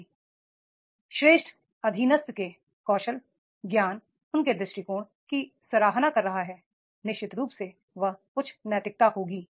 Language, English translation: Hindi, If superior is appreciating the subordinate skills, knowledge, his attitude, definitely he will have the high moral